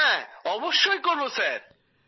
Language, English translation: Bengali, Yes, absolutely Sir